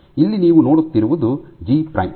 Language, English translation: Kannada, So, once again here what you see is G prime